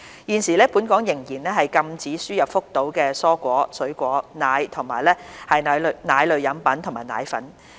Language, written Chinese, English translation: Cantonese, 現時，本港仍然禁止輸入福島的蔬菜、水果、奶和奶類飲品及奶粉。, Currently the import of vegetables fruits milk milk beverages and dried milk from Fukushima is still prohibited in Hong Kong